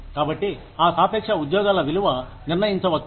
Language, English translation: Telugu, So, that the relative worth of the jobs, can be determined